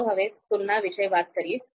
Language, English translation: Gujarati, Now let’s talk about comparisons